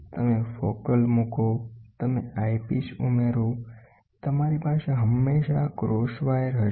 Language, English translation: Gujarati, Is you put the focal you add the eyepiece, you will always have this is as the cross wire